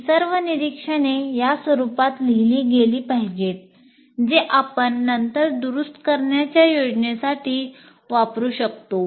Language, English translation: Marathi, So everything, all these observations should be written in this format which we will use later to plan for corrections